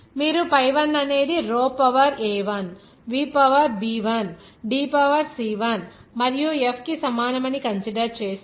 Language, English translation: Telugu, If you considered that pi 1 is equal to row to the power a1 v to the power b1 D to the power c1 and F